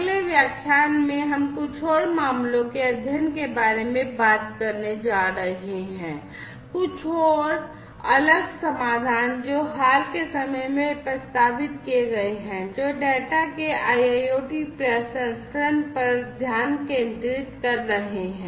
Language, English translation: Hindi, In the next lecture, we are going to talk about a few more case studies, a few more different solutions that have been proposed in recent times focusing on IIoT processing of data